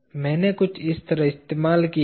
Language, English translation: Hindi, I have used something like this